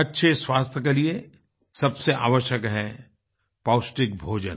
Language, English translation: Hindi, Nutritious food is most essential for good health